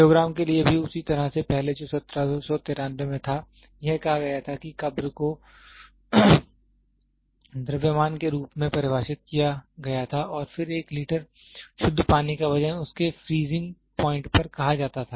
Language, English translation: Hindi, The same way for kilogram also prior that was in 1793, it was said as the grave was defined as being the mass and then called weight of 1 liter of pure water at its freezing point